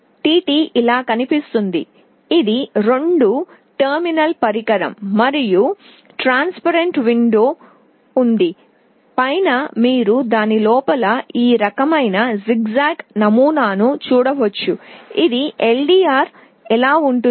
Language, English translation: Telugu, Tt looks like this, it is a two terminal device and there is a transparent window, on top you can see some this kind of zigzag pattern inside it this is how an LDR looks like